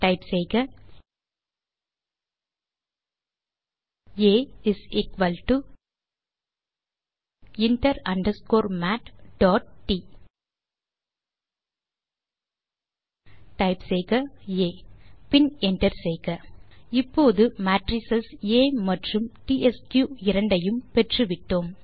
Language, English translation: Tamil, So type on the terminal A = inter underscore mat.T Type A and hit enter Now we have both the matrices A and tsq